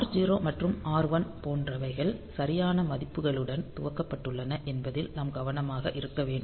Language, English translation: Tamil, So, that is not possible only R0 and R1 and we have to be careful that R0 and R1 they have been initialized with proper values